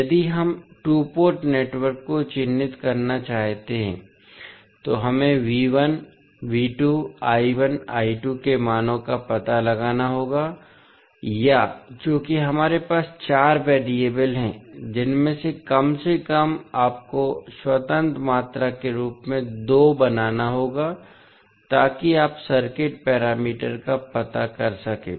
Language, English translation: Hindi, If we want to characterize the two port network we have to find out the values of the V1, V2, I1, I2 or since we have four in variables at least out of that you have to make 2 as an independent quantity so that you can find out the circuit parameters